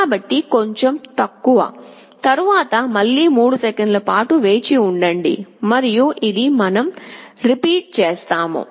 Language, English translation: Telugu, So, a little less, then again wait for 3 seconds and this we repeat